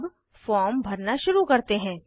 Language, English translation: Hindi, Now, start filling the form